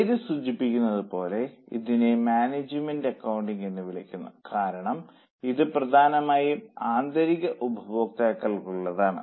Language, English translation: Malayalam, As the name suggests, it is called management accounting because it's mainly for internal users